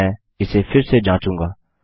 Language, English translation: Hindi, Now Ill test this again